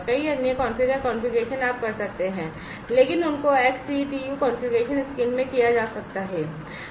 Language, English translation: Hindi, Many other configure configurations you can do, but those can be done in the XCTU configuration screen